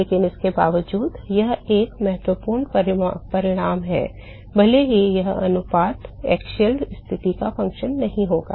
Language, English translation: Hindi, But irrespective of that, that is an important result, irrespective of that this ratio is not going to be a function of the axial position